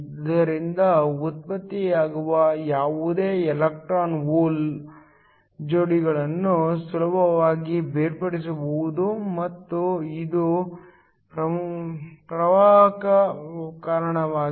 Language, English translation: Kannada, So, any electron hole pairs that are generated can be easily separated and this gives rise to a current